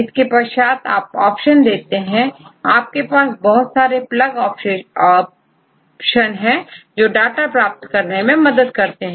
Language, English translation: Hindi, Then you provide options because users a have various plug options to obtain the data right